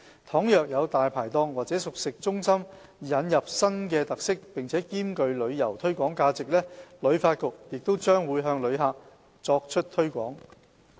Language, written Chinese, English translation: Cantonese, 倘若有"大牌檔"或熟食中心引入新的特色並兼具旅遊推廣價值，旅發局將會向旅客作出推廣。, If there are new features with merit for tourism promotion introduced to Dai Pai Dongs or cooked food centres HKTB will promote these eateries to the visitors